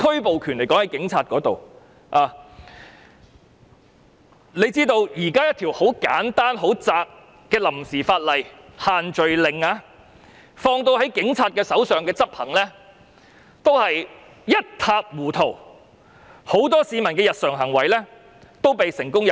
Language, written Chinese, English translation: Cantonese, 大家都知道，即使一條很簡單且涵蓋範圍狹窄的臨時法例，例如限聚令，交由警察執法也變得一塌糊塗，很多市民的日常行為均被成功入罪。, As we all know even for a very simple interim legislation with a narrow coverage such as the group gathering restrictions enforcement by the Police might turn out to be a mess . Many people have been arrested for some normal activities